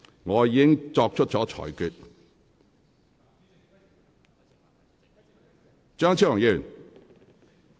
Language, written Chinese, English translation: Cantonese, 我已經作出了裁決。, I have already made my ruling